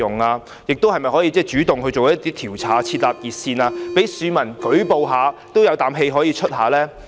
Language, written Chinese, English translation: Cantonese, 此外，當局是否可以主動調查，或設立熱線，讓市民舉報，抒發一下呢？, Moreover will the authorities take the initiative to conduct investigation or set up a hotline for the public to report relevant cases and express their opinions?